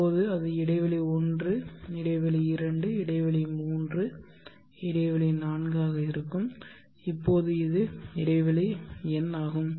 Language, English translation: Tamil, Now that will be interval 1, interval 2, interval 3, interval 4 and now this is interval n, so this is n + 1